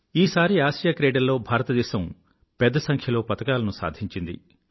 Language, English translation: Telugu, This time, India clinched a large number of medals in the Asian Games